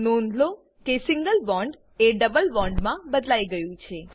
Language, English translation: Gujarati, Observe that Single bond is converted to a double bond